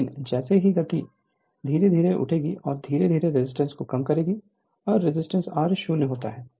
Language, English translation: Hindi, But as soon as speed will speed will pick up slowly and slowly you cut down the resistance and being the resistance r is to 0